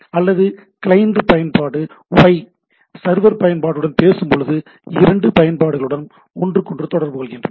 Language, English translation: Tamil, Or application Y client while talks to the application server right, two applications are talking to communicating with each other